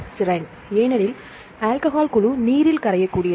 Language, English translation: Tamil, Its serine because alcohol group this is more a soluble water